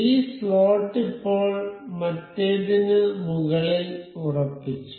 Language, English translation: Malayalam, So, this slot is now fixed over other